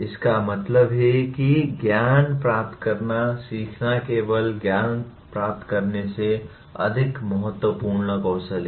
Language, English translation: Hindi, That means knowing how to learn is a more important skill than just acquiring knowledge